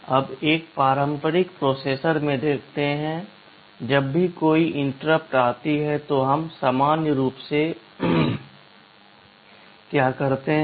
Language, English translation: Hindi, You see in a conventional processor whenever an interrupt comes, what do we do normally